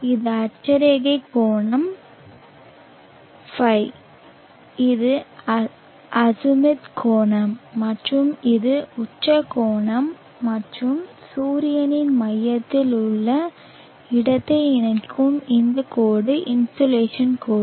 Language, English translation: Tamil, , this is the azimuth angle and this is the zenith angle and this line joining the locality to the center of the sun is the insulation line